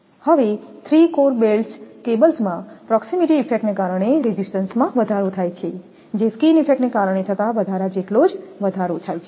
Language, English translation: Gujarati, Now for three core belted cables, the increase resistance due to proximity effect is about the same magnitude as that due to skin effect